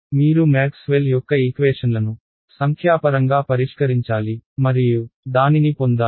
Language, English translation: Telugu, You have to solve Maxwell’s equations numerically and get this ok